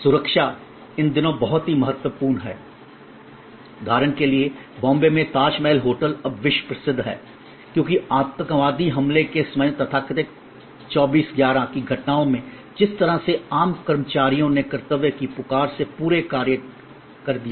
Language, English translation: Hindi, Safety and security these days very impotent for example, the Tajmahal hotel in Bombay is now world famous, because of at the time of the terrorist attack the so called 26/11 incidents the way ordinary employees went beyond their call of duty